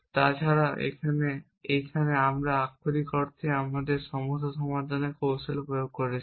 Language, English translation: Bengali, Except that here we are literally applying us problem solving